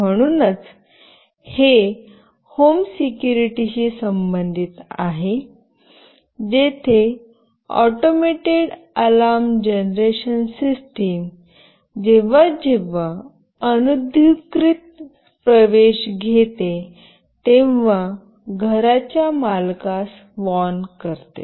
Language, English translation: Marathi, So, this is related to home security where an automated alarm generation system warns the owner of the house whenever an unauthorized access takes place